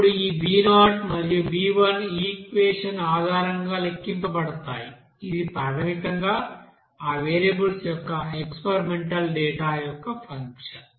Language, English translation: Telugu, Now this b0 and b1 will be you know calculated based on this you know equation, which is basically as a function of that experimental data of that variables